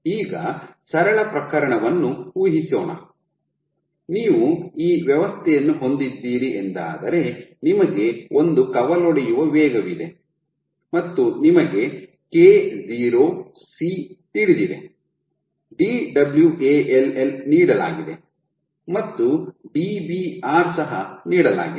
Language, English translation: Kannada, So, now, imagine now imagine the simple case you have this system you have one rate of branching rate you know K0, [C] everything is given Dwall is given and Dbr is given